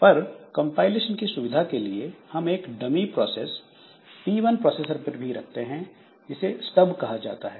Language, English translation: Hindi, But for the sake of compilation and all, so we keep some dummy processes in process P1 which is called P1 and they are called Stubs